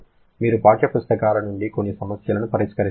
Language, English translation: Telugu, You can solve some problems from the textbooks